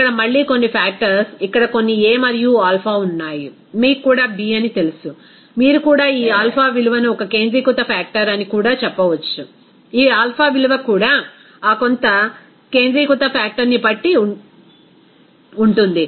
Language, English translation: Telugu, Here again, some factors are here some a and alpha, even you know that b, even you can say that this alpha value that is an acentric factor, also this alpha value depending on that some acentric factor